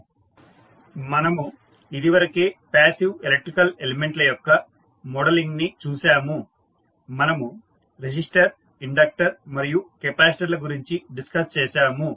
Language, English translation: Telugu, So, as we have already seen that modeling of passive electrical elements we have discussed resistors, inductors and capacitors